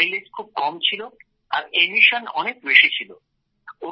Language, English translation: Bengali, Its mileage was extremely low and emissions were very high